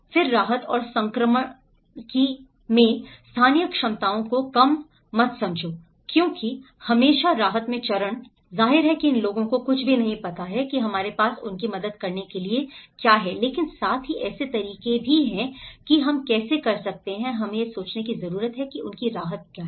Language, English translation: Hindi, Then in the relief and transition, donít undermine the local capacities because at always at relief phase, obviously undermines that these people doesnít know anything that we have there to help them, but also there are ways how we can, we need to think how what are their relief